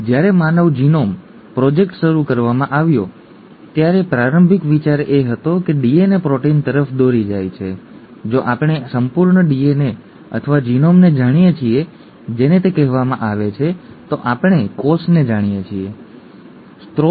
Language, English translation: Gujarati, When the DNA project, DNA sorry, when the human genome project was initiated the initial thought was, since DNA leads to proteins, if we know the complete DNA or the genome as it is called, we know the cell, okay